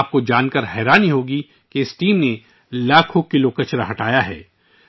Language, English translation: Urdu, You will be surprised to know that this team has cleared lakhs of kilos of garbage